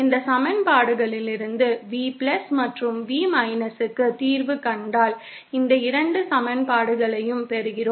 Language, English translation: Tamil, And from these equations if we solve for V+ and V , we get these 2 equations